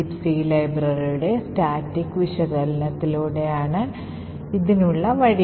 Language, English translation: Malayalam, The way to go about it is by static analysis of the libc library